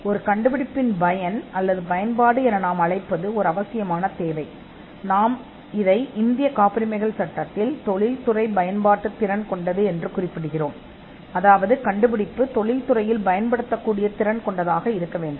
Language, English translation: Tamil, The utility or what we call the usefulness of an invention is a requirement, which is referred in the Indian patents act as capable of industrial application, that the invention should be capable of industrial application